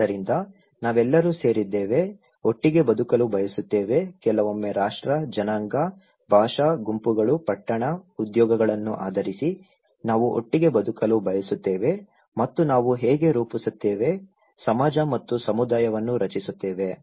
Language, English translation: Kannada, So, we all comprise, want to live together, sometimes based on nation, race, linguistic groups, town, occupations, we want to live together and thatís how we form, create society and community okay